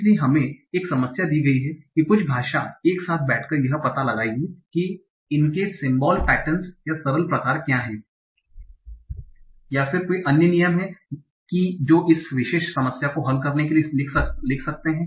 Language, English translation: Hindi, So where given a problem some linguist will sit together, find out what are the simple patterns or simple kind of if then else rules that one can write down to solve this particular problem